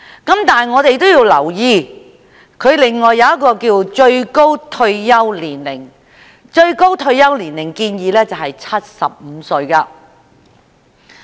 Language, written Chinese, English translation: Cantonese, 但是，我們要留意另一項建議，亦即把最高退休年齡定為75歲。, However there is another proposal which warrants our attention and that is the proposal of setting the maximum retirement age at 75